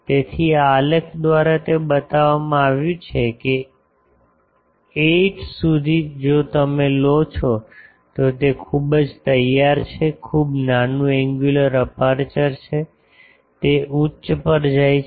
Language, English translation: Gujarati, So, that is shown by this graph that up to 8 if you take then it is very ready very small angular aperture it goes to high